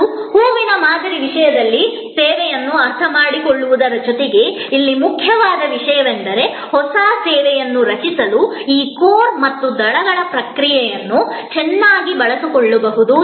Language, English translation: Kannada, And the important thing here in addition to understanding a service in terms of the flower model, the important thing here is to also understand that these core and petal concept can be used very well to create a new service